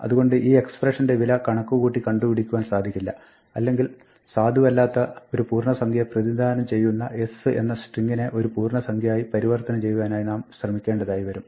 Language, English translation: Malayalam, So, this expression value cannot be computed, or we might be trying to convert something from a string to an integer where the string s is not a valid representation of an integer